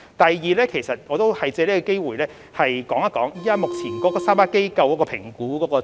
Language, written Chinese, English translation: Cantonese, 第二，我想借此機會略述目前3間服務機構的評估情況。, Secondly I would like to take this opportunity to briefly state the progress of evaluation of the three agencies